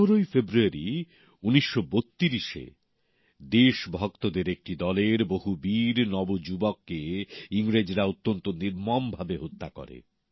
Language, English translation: Bengali, On 15th of February 1932, the Britishers had mercilessly killed several of a group of brave young patriots